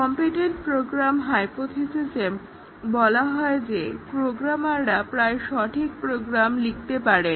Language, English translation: Bengali, The competent programmer hypothesis says that programmers they write almost correct programs